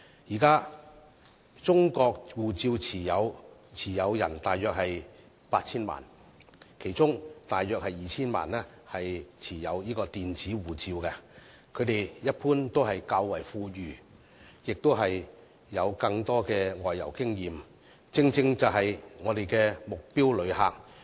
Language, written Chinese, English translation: Cantonese, 現時，中國護照持有人約有 8,000 萬，其中約 2,000 萬人持有電子護照，他們一般較為富裕並有較多外遊經驗，正是我們的目標旅客。, There are currently about 80 million Chinese passport holders among them about 20 million are holders of e - passports . As they are generally wealthier and have more travel experiences they are precisely our target visitors